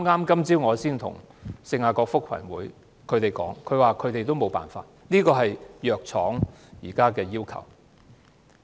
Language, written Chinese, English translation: Cantonese, 今早我才與聖雅各福群會商討，他們回應指沒有辦法，這是藥廠現時的要求。, This morning I had a discussion with St James Settlement but they said there was nothing they could not do because that was the condition set by the pharmaceutical companies